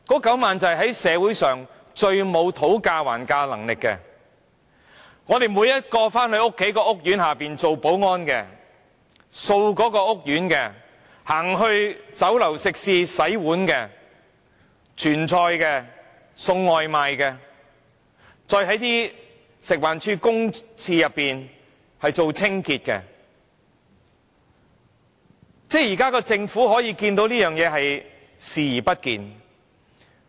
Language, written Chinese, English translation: Cantonese, 他們是社會上最沒有討價還價能力的，是在我們居住的每一個屋苑當保安員的、清潔屋苑的清潔工人、在酒樓食肆洗碗、傳菜的、送外賣的，以及在食物環境衞生署公廁內的清潔工人，政府卻可以對這情況視而不見。, They are people with the least bargaining power in society . They are the security guards at each and every of the housing estates where we live cleaners hired to do cleaning work in housing estates dishwashing workers and servers in restaurants food delivery workers and cleaners working in public toilets of the Food and Environmental Hygiene Department FEHD . Yet the Government can turn a blind eye to this situation